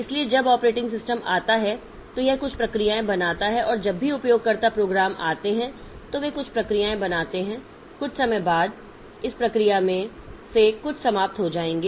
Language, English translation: Hindi, So, when the operating system comes up, so it creates some processes and whenever the user programs come up, they create some processes